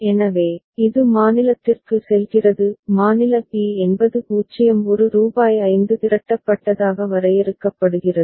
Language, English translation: Tamil, So, it goes to state b; state b is defined as 0 1 rupees 5 accumulated